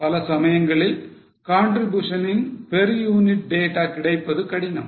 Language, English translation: Tamil, Now, many times it is difficult to have per unit data of contribution